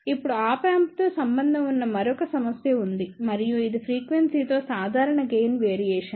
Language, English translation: Telugu, Now, there is a another problem associated with the Op Amp and this is the typical gain variation with frequency